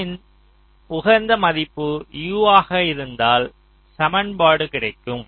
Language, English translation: Tamil, so u, the optimum value of u, should be e